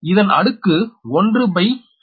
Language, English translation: Tamil, m is equal to one to four